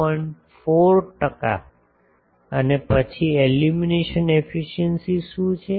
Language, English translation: Gujarati, 4 percent and then what is the illumination efficiency